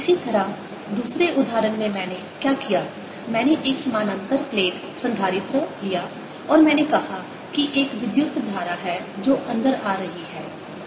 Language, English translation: Hindi, similarly, in the other example, what i did, i took a parallel plate capacitor and i said there is a current which is coming in which is i t